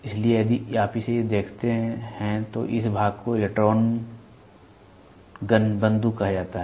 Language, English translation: Hindi, So, if you look at it this portion is called the electron gun